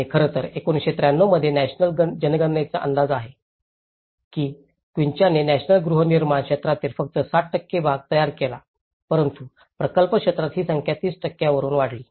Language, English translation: Marathi, And in fact, in 1993, the national census estimated that the quincha formed just 7% of the national housing stock but within the project area, this figure rose to nearly 30%